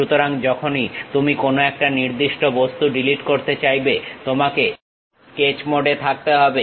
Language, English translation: Bengali, So, whenever you would like to delete one particular object, you have to be on the Sketch mode